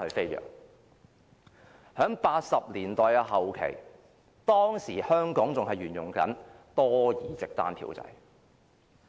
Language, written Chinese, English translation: Cantonese, 在1980年代後期，當時香港仍然沿用多議席單票制。, In the late 1980s Hong Kong was still using the multi - seat single vote system